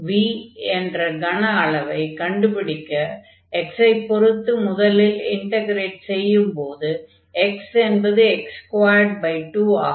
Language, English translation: Tamil, So, this v the volume with respect to x we have to integrate first so; that means, this will be x square by 2